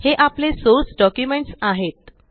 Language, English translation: Marathi, This is our source document